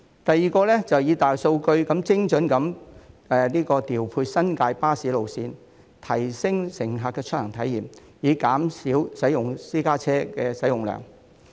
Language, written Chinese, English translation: Cantonese, 第二，以大數據精準調配新界巴士路線，提升乘客的出行體驗，以減少私家車的使用量。, Second New Territories bus routes can be deployed more precisely through big data . This will enhance passengers travel experience and reduce the use of private vehicles